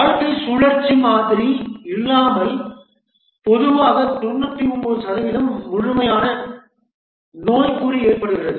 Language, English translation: Tamil, Without a lifecycle model, usually a problem that is known as the 99% complete syndrome occurs